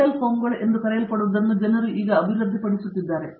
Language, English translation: Kannada, People are now developing what are called Metal foams